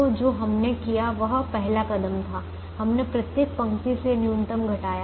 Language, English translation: Hindi, so the first step, what we did was we subtracted the minimum from every row